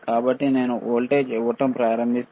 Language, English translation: Telugu, So, if I start giving a voltage, right